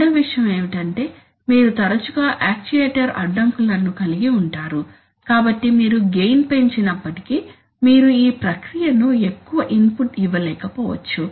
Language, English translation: Telugu, Second thing is that you often have actuator constraints, so even if you increase the gain, is, it may happen that you are not able to give more input to the process